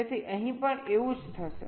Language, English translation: Gujarati, so same thing will happen here also